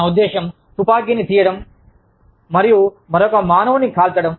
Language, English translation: Telugu, I mean, just picking up a gun, and shooting another human being